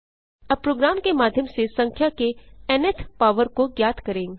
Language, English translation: Hindi, Lets now learn to find nth power of a number through a program